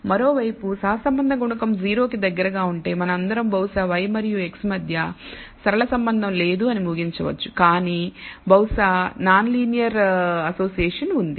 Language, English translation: Telugu, On the other hand if the correlation coefficient is close to 0 all we can conclude from then is perhaps there is no linear relationship between y and x, but perhaps there is non linear association so, we will come to that a little later